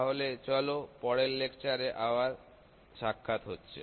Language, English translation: Bengali, So, let us meet in the next part of this lecture Thank you